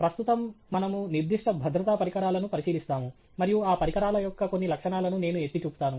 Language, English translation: Telugu, Right we will now look at specific safety equipment and I will highlight some of those features of those equipment